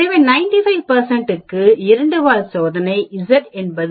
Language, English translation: Tamil, So for a 95 percent two tailed test z is equal to 1